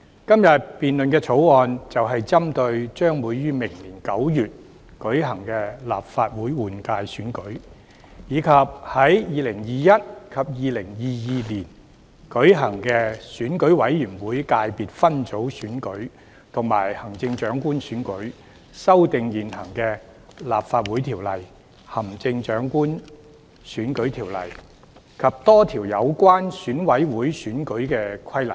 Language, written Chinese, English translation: Cantonese, 今天辯論的《條例草案》，就是針對將於明年9月舉行的立法會換屆選舉，以及在2021年及2022年舉行的選舉委員會界別分組選舉及行政長官選舉，修訂現行的《立法會條例》、《行政長官選舉條例》及多項有關選委會選舉的規例。, The Bill under debate today seeks to amend the existing LCO the Chief Executive Election Ordinance and a number of regulations in relation to Election Committee EC elections in respect of the Legislative Council General Election to be held in September next year as well as the EC Subsector Elections and the Chief Executive Election to be held in 2021 and 2022 respectively